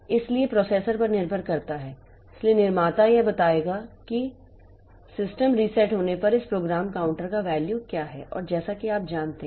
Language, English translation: Hindi, So, that way depending on the processor, so this manufacturer they will tell what is the value of this program counter when the system resets